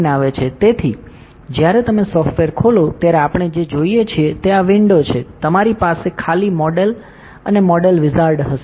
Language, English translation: Gujarati, So, when you open the software what we see is this window, you will have the blank model and modal wizard